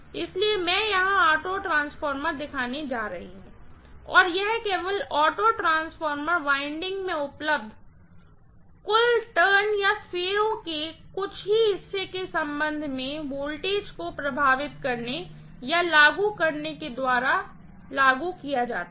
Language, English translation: Hindi, So, I am going to show the auto transformer here and this is applied by only influencing or applying the voltage with respect to only a fraction of the total turns available in the total auto transformer winding